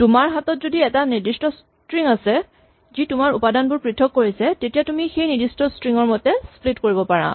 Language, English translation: Assamese, As long as you have a fixed string which separates your thing you can split according to that fixed string